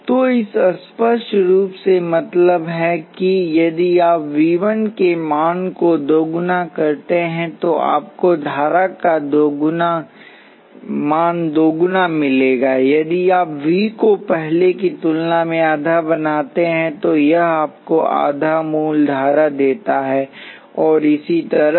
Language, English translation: Hindi, So, this obviously means that if you double the value of V 1, you will get double the current, if you make the value V 1 half of what it was before, it gives you half the original current and so on